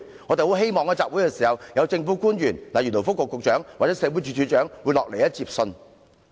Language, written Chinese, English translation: Cantonese, 我們希望集會時，一些政府官員，例如勞工及福利局局長或社會福利署署長會前來接信。, We hope that some government officials such as the Secretary for Labour and Welfare or the Director of Social Welfare will attend the assembly to receive our letters